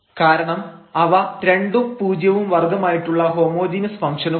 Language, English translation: Malayalam, So, this is a homogeneous function of order 0